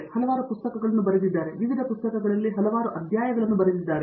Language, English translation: Kannada, He has written several books, several chapters in various books